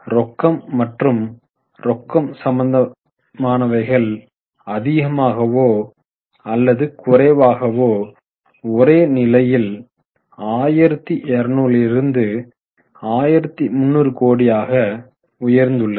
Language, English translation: Tamil, Cash and cash equivalents are more or less constant from 1,200 to 1,300 crore